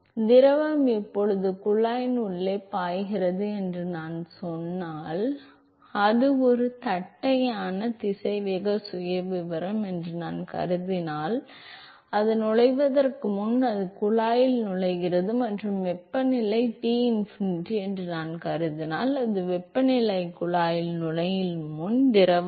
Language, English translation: Tamil, So, if I say that the fluid is now flowing inside the tube and if I assume that the it is a flat velocity profile, before it enters it enters the tube and if I assume that the temperature is Tinfinity, so that is the temperature of the fluid before it enters the tube